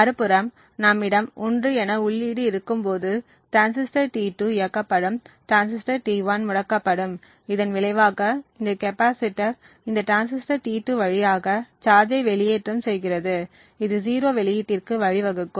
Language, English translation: Tamil, On the other hand when we have an input which is set to 1, the transistor T2 turns ON, while transistor T1 would turn OFF, as a result this capacitor would then discharge through this transistor T2 leading to a output which is 0